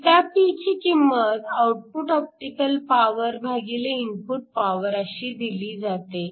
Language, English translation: Marathi, So, ηp is the optical power out divided by the input power